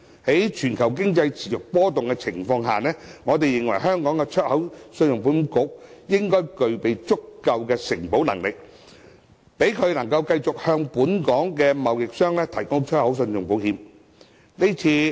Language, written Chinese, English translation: Cantonese, 在全球經濟持續波動的情況下，我們認為信保局應具備足夠承保能力，讓其繼續向本港貿易商提供出口信用保險。, In view of the continuing volatility in the global markets we consider that ECIC should be provided with sufficient underwriting capacity so that it can continue to provide export credit insurance covers to Hong Kong traders